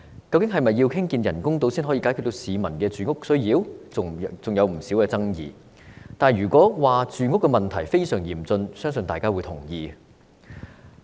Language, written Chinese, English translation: Cantonese, 究竟是否要興建人工島才能解決市民的住屋需要，仍然存在不少爭議，但如果說住屋問題非常嚴峻，相信大家也會認同。, Whether it is indeed necessary to construct artificial islands to resolve the peoples housing needs remains greatly controversial . However I believe everyone will agree that the housing problem is most severe